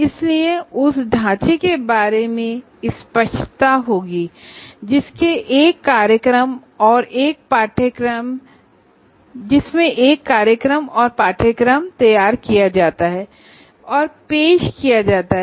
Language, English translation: Hindi, So there is clarity about the framework in which a program and a course is designed and offered